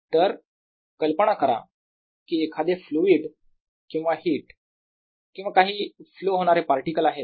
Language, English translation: Marathi, so imagine of fluid or heat or some particles flowing all rights